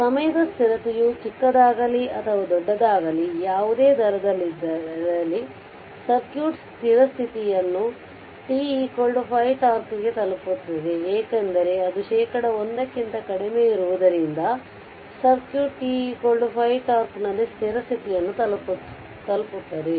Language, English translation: Kannada, At any rate whether the time constant is small or large, the circuit reaches steady state at t is equal to 5 tau because it is it is less than one percent that your what you call the ratio whatever you have taken right